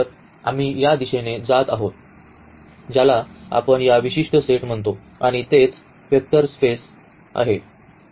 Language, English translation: Marathi, So, we are going into this direction that what do we call these such special sets and that is exactly the vector spaces coming into the picture